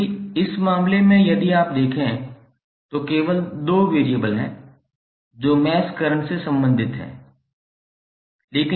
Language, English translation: Hindi, Like in this case if you see, there are only 2 variables related to mesh current